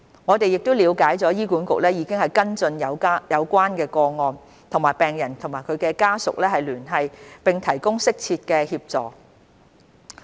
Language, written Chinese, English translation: Cantonese, 我們了解醫管局已跟進有關個案，與病人或其家屬聯繫，並提供適切的協助。, We understand that HA has followed up these cases and approached the patients concerned or their families to provide them with assistance as appropriate